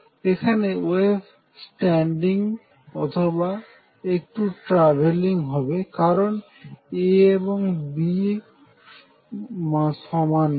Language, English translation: Bengali, Now the wave out here is a standing wave or maybe slightly travelling because A and B are not equal